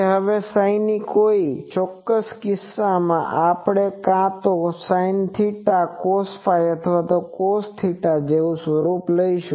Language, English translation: Gujarati, Now, that psi in a particular case, we will take the form of either sin theta cos phi or cos theta something